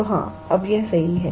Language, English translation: Hindi, So, yeah now, it is correct